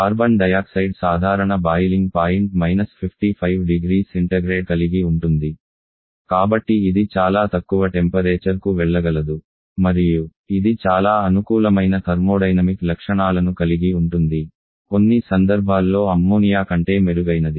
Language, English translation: Telugu, Carbon dioxide as a normal boiling point of 55 degree Celsius so capable of going to very low temperature and it is very favourable thermodynamic properties under certain situations even better than Ammonia are much better than Ammonia